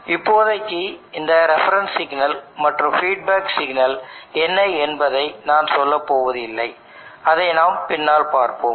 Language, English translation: Tamil, For now I am not going to tell what is this reference signal and what is the feedback signal we will come to that later